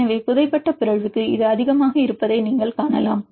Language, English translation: Tamil, So, for the burried mutation you can see it is higher